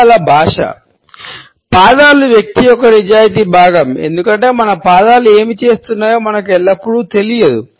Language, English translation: Telugu, Feet language; feet are those honest part of the person because we are not always aware of what our feet are doing